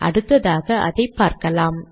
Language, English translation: Tamil, So lets see that also